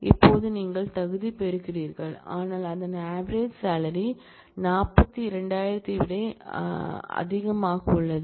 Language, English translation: Tamil, Now, you are qualifying that, whose average salary is greater than 42000